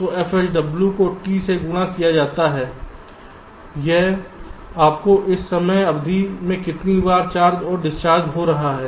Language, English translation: Hindi, sw multiplied by t, this will give you at how many times this charging and discharging is taking place within this time period t